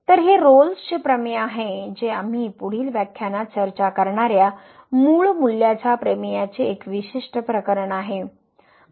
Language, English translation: Marathi, So, this is the Rolle’s Theorem which is a particular case of the mean value theorem which we will discuss in the next lecture